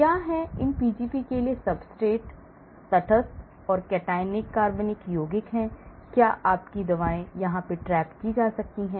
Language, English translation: Hindi, What are the substrates for these Pgp is neutral and cationic organic compounds that is where your drugs may get caught